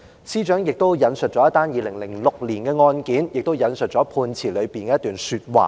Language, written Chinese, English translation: Cantonese, 司長亦引述了一宗2006年的案件，並引述了判詞中的一段說話。, The Secretary also cited a case in 2006 and quoted a passage from the judgment